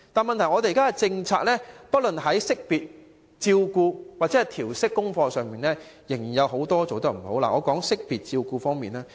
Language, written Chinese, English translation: Cantonese, 問題是現時的政策不論在識別、照顧或調適功課方面，仍然做得不大好。, The problem is that the existing policy has failed to do a good job in identification care and homework adjustment